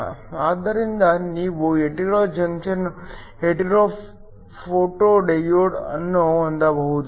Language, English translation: Kannada, So, that you can have a hetero junction photo diode